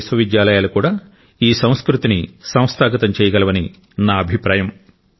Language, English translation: Telugu, I think that universities of India are also capable to institutionalize this culture